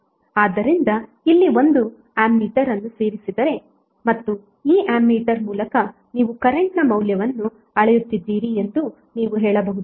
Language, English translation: Kannada, So you can say that if you added one ammeter here and you are measuring the value of current through this ammeter